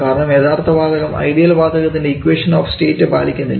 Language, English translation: Malayalam, Now for real gases there are several approaches thus real gas does not follow the ideal gas equation of state